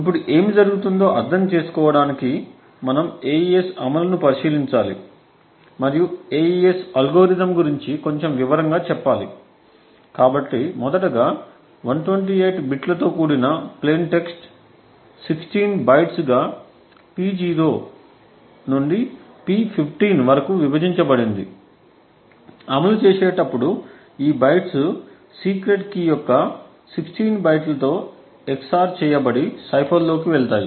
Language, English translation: Telugu, Now to understand what would happen we have to take a look at the AES implementation and a little more in detail about the AES algorithm, so 1st of all the plain text which is also of 128 bits is split into 16 bytes P0 to P15, once these bytes go into the cipher or during the implementation is that these bytes get XOR with 16 bytes of the secret key, so we will have like K15 over here which is the 15th byte of the secret key and similarly we have K1, K0 and so on